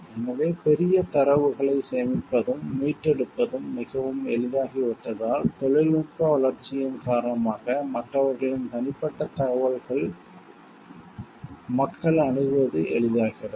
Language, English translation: Tamil, So, because storage and retrieval of huge data has become quite easy; because of the developments in technology, it is thus made easy for people to access the private information of others